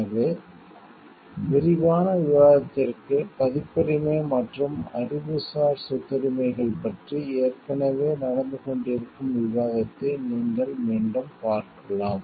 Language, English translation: Tamil, So, for a detailed discussion you can refer back to the discussion which is already being done, on copyright and intellectual property rights